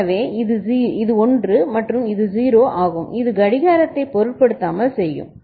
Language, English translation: Tamil, So, this is 1 and this is 0 which will make irrespective of the clock